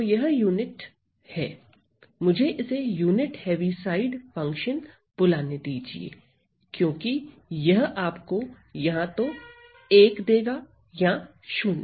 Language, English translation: Hindi, So, this is a unit, let me call it as a unit Heaviside, function because it gives you either 1 or 0 ok